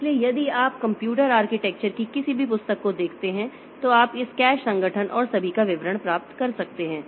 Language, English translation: Hindi, So, if you look into any book on computer architecture you can get the details of this cache organization and all